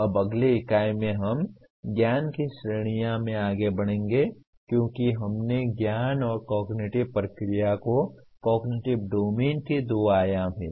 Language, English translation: Hindi, Now in the next unit, we will be moving on to the categories of knowledge as we considered knowledge and cognitive process are the two dimensions of cognitive domain